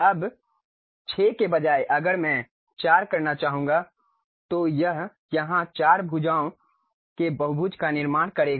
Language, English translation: Hindi, Now, instead of 6 if I would like to have 4, it construct a polygon of 4 sides here square